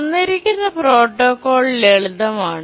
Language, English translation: Malayalam, That's the simple protocol